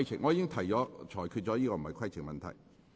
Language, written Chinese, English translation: Cantonese, 我已裁決這並非規程問題。, I have ruled that this is not a point of order